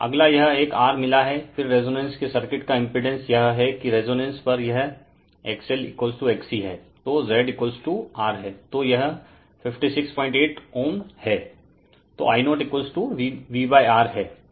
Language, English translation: Hindi, So, next this one R you have got then the impedance of the circuit of the resonance is that that at resonance X L is equal to X C, so Z is equal to R it is 56